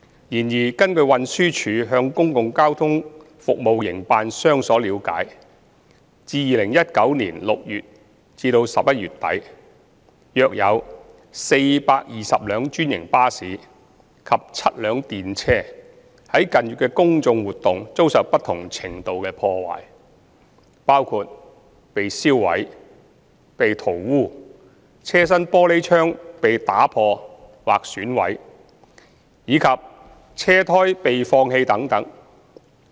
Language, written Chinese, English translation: Cantonese, 然而，根據運輸署向公共交通服務營辦商所了解，自2019年6月至11月底，約有420輛專營巴士及7輛電車在近月的公眾活動遭受不同程度的破壞，包括被燒毀、被塗污、車身玻璃窗被打破或損毀，以及車胎被放氣等。, Nonetheless according to the information obtained by TD from the public transport service operators it is understood that from June to the end of November 2019 around 420 franchised buses and seven tram cars were vandalized to different extent during the public order events in the past few months including being burnt smeared glass windows being broken or vandalized tyres being deflated etc